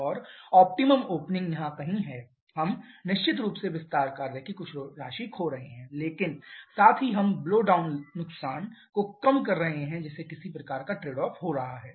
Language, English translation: Hindi, And the optimum opening is some here where we are of course losing some amount of expansion work but at the same time we are keeping the blowdown loss to smallest thereby getting some kind of trade off